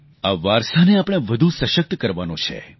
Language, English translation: Gujarati, We have to further fortify that legacy